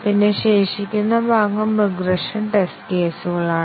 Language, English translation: Malayalam, And then, the remaining part is the regression test cases